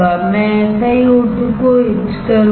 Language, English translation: Hindi, I will etch the SiO2